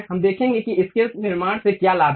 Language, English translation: Hindi, We will see what is the advantage in constructing this